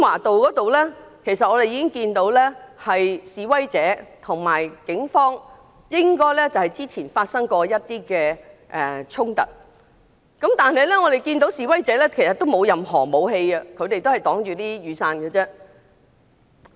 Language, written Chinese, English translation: Cantonese, 到達時我們看到示威者和警方較早前發生過一些衝突，但不見示威者有任何武器，他們只是用雨傘作遮擋。, When we arrived we learned that the protesters had some clashes with the Police earlier but we did not find the protesters holding any weapons . All they had were umbrellas to shield themselves